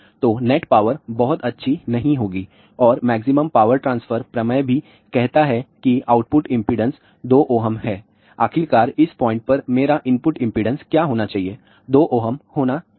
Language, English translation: Hindi, So, the net power will not be very good and also the maximum power transfer theorem says that output impedance is 2 ohm, finally, what I should have here input impedance at this point should be 2 ohm